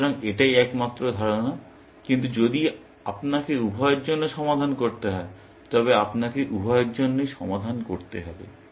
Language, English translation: Bengali, So, that is the only idea, but if you have to solve for both you have to solve for both